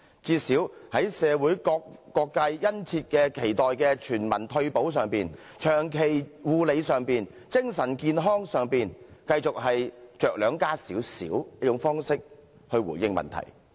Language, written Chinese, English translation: Cantonese, 最少在社會各界殷切期待的全民退休保障、長期護理及精神健康上，是繼續以着量加些少的方式來回應問題。, To say the least it only provides meagre increments here and there in response to the earnest call for universal retirement protection long - term care services and mental health service from various social sectors